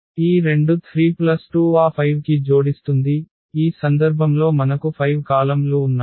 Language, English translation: Telugu, So, this two 3 plus 2 will add to that 5 in this case we have 5 columns